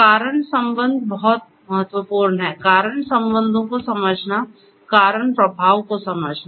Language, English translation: Hindi, Causal relationships are very important; understanding the causal relationships, the cause effect